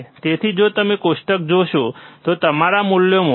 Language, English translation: Gujarati, So, if you see the table, your values are 6